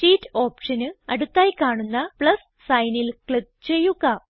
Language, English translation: Malayalam, Now, click on the plus sign next to the Sheet option